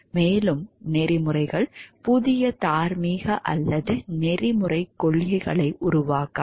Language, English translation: Tamil, And code of ethics does not create new moral or ethical principles